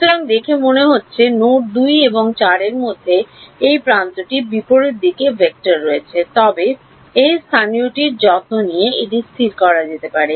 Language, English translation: Bengali, So, it seems that this edge between node 2 and 4 has the vectors in the opposite direction, but that can be fixed by taking care of this local to global we will see how would happen